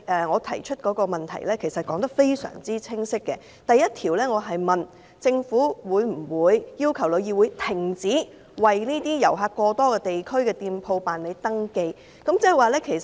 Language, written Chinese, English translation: Cantonese, 我提出的質詢非常清晰，第一部分詢問政府會否要求旅議會停止為遊客過多地區的店鋪辦理登記。, My question is very clear . Part 1 asks whether the Government will request TIC to stop processing the registrations for shops located at districts flooded with tourists